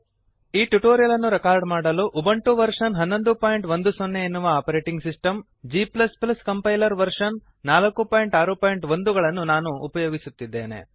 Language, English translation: Kannada, To record this tutorial, I am using Ubuntu Operating System version 11.10, g++ Compiler version 4.6.1